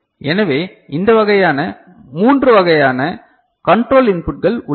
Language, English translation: Tamil, So, these kind of, three kind of you know, control inputs are there